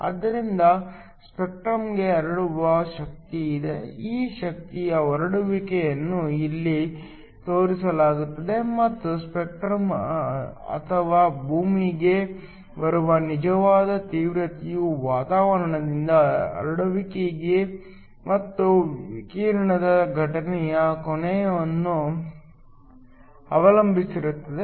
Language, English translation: Kannada, So, there is an energy spread to the spectrum, this energy spread is shown here and the spectrum or the actual intensity that is arriving at the earth is going to depend upon scattering from the atmosphere and also the incident angle of the radiation